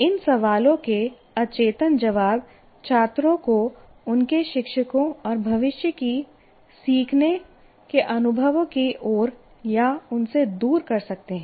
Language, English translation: Hindi, And unconscious responses to these questions can turn the students toward or away from their teachers and future learning experiences